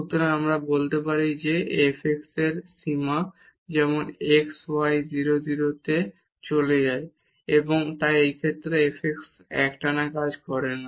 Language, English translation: Bengali, So, we can say that the limit of f x as x y goes to 0 0 does not exist and hence this f x is not continuous function in this case